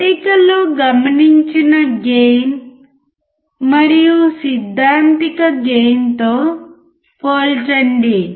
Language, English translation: Telugu, Calculate the gain observed in table and compared with the theoretical gain